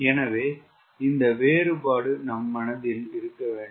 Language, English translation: Tamil, so these distinction should be in our mind